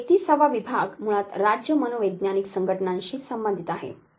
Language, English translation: Marathi, 31st division basically has to do with state psychological association affairs